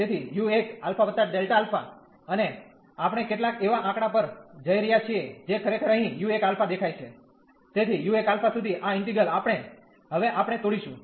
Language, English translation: Gujarati, So, u 1 alpha plus delta alpha, and we are going to some number this which is actually appearing here u 1 alpha, so up to u 1 alpha this integral, we are going to break now